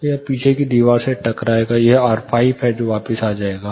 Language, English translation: Hindi, So, it will hit the rear wall, it will come back R5